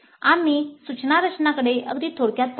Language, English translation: Marathi, So we looked at the instruction design very briefly